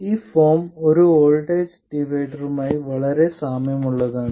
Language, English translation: Malayalam, This form looks very similar to that of a voltage divider